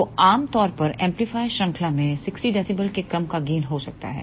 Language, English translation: Hindi, So, typically that amplifier chain may have gain of the order of 60 dB